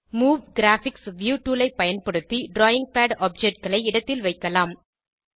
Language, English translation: Tamil, We can use the Move Graphics View tool and position the drawing pad objects